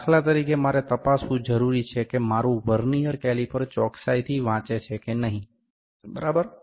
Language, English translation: Gujarati, For instance I need to check whether my Vernier caliper is reading exactly or not, ok